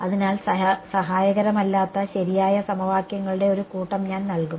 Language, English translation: Malayalam, So, I will just the set of true equation which are not helpful ok